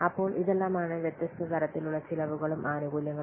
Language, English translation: Malayalam, So these are the important categories of different cost and benefits